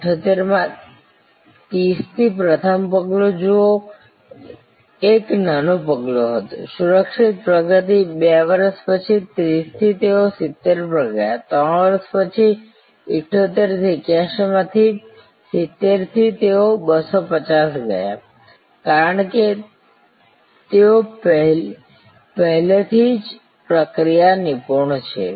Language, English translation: Gujarati, In 1978 from 30, see the first step therefore, was a small step, secure progress, 2 years later from 30, they went to 70, 3 years later from 78 to 81 from 70 they went to 250, because they are already mastered the process